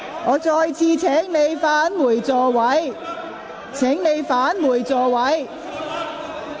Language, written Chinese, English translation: Cantonese, 我再次請議員返回座位。, Again I urge Members to return to their seats